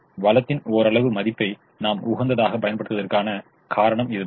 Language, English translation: Tamil, that is the reason we use marginal value of the resource at the optimum